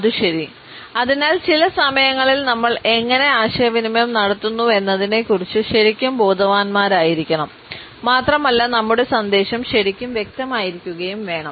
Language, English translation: Malayalam, And so, sometimes we have to be really conscious of how are we communicating and are we really being clear